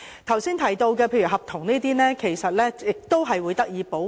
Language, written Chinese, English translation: Cantonese, 剛才提到例如合約的問題，其實亦會得到保護。, Contracts for instance as mentioned earlier will actually be protected